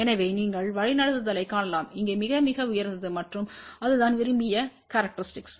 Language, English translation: Tamil, So, you can see that the directivity here is very, very high and that is what is the desired characteristic